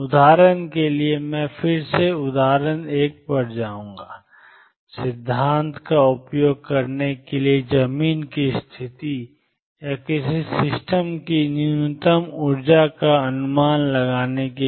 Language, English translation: Hindi, For example again I will go to the example one, for using principle, for estimating ground state or lowest energy of a system